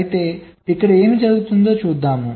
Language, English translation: Telugu, but lets see what will happen here